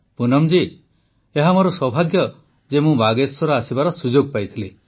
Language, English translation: Odia, Poonam ji, I am fortunate to have got an opportunity to come to Bageshwar